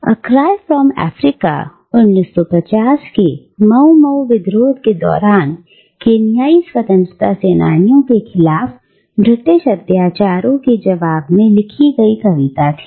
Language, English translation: Hindi, Now, “A Far Cry from Africa” was written in response to the news of the British atrocities against Kenyan freedom fighters during the Mau Mau uprisings of the 1950’s